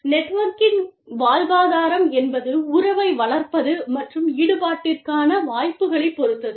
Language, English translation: Tamil, The sustenance of network depends on, relationship building, and opportunities for involvement